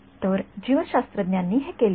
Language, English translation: Marathi, So, biologists have done this